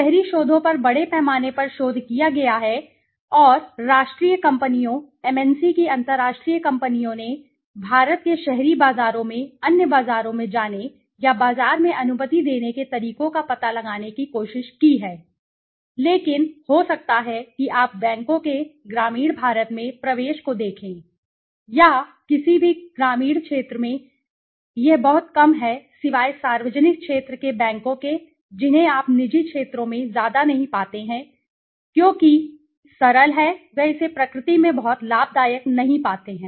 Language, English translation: Hindi, Urban research has been vastly researched and companies national companies MNC s international companies have all tried to find out ways to permit into the or you know percolate into the India markets the other markets the rural markets sorry in the urban markets but may be if you look at the penetration of the banks into rural India or the any rural sphere it is very less except the public sector banks you don t find much of private sectors because simple is they do not find it to be very profitable in nature